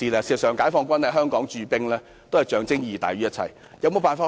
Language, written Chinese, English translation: Cantonese, 事實上，解放軍在香港駐兵是象徵意義大於一切。, Actually the garrisoning of the Peoples Liberation Army forces in Hong Kong is more of symbolic significance than of anything else